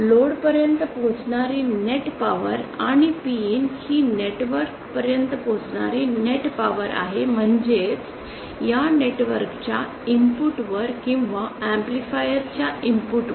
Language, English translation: Marathi, The net power that is reaching the load and P in is the net power that is reaching the network it means that at the input of this network or at the input of this amplifier